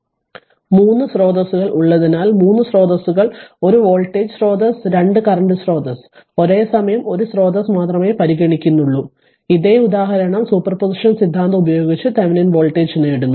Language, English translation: Malayalam, Because you have 3 sources just to show you something, 3 sources one voltage source 2 current source you consider only one source at a time same example this same example you obtain Thevenin voltage using your super position theorem